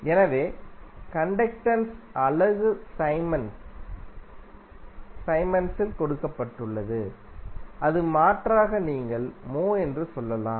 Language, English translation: Tamil, So, the unit of conductance is given in Siemens or alternatively you can say as mho